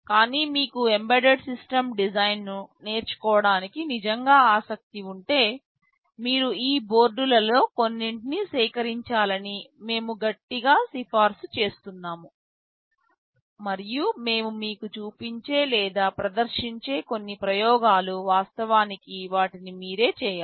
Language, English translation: Telugu, But, if you are really interested to learn embedded system design in a hands on way we strongly recommend that you should procure some of these boards, and some of the experiments that we shall be showing or demonstrating you should actually do them yourself